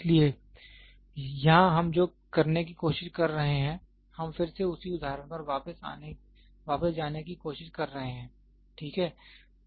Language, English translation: Hindi, So, here what we are trying to do is, we are trying to again let us go back to the same example, ok